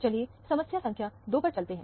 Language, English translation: Hindi, Let us go to problem number 2